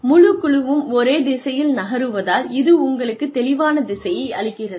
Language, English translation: Tamil, It gives you a clear sense of direction, because the whole team is moving, in the same direction